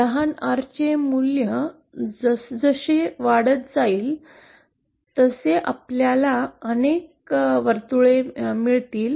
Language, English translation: Marathi, As the value of small R goes on increasing, we will get a number of circles